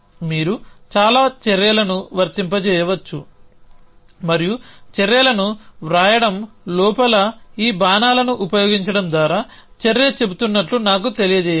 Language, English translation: Telugu, You can apply many actions and so inside of writing the actions let me that the action was saying by using this arrows